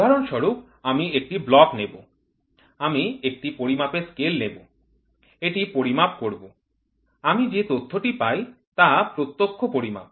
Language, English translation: Bengali, For example, I try to take a block, I try to take a measuring scale, measure it, what data I get is direct